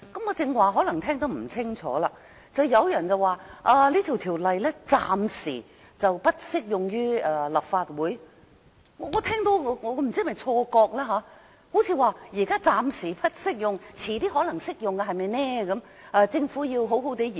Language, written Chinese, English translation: Cantonese, 剛才我可能聽得不是太清楚，有人說這法例暫時不適用於立法會，不知是否我的錯覺，乍聽之下，彷彿是現在暫時不適用，日後可能會適用，因此政府要好好研究。, I am not sure if I have missed something . Or is it my illusion? . It sounds as though the legislation will not apply to the Legislative Council only for the time being and it may cover the legislature in the future